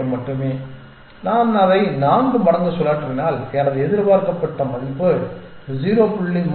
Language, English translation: Tamil, 08 and if I spin it 4 times my expected value is 0